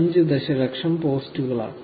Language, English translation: Malayalam, 5 million posts every 60 seconds